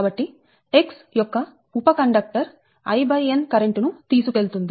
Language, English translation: Telugu, so each conductor will carry current i upon n